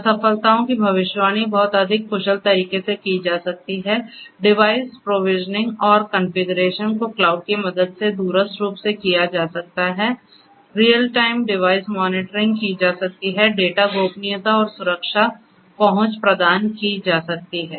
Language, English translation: Hindi, Prediction of failures before occurrences can be done in a much more efficient and efficient manner, device provisioning and configuration can be done remotely with the help of cloud, real time device monitoring can be done, data privacy and security access can be provided with the help of cloud